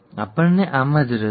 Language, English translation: Gujarati, This is what we are interested in